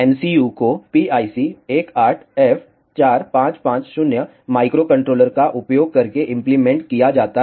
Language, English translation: Hindi, The MCU is implemented using a PIC 18F 4 double 50 microcontroller